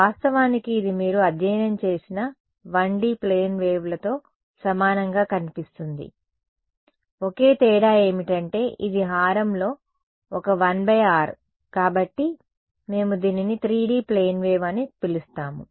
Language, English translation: Telugu, In fact, it looks identical to the 1D plane waves you have studied, the only difference is that this a 1 by r in the denominator and so, we call this as a 3D plane wave right